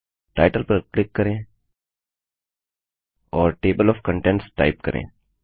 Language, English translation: Hindi, Click on the title and type Table of Contents